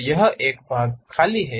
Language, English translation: Hindi, So, it is a blank one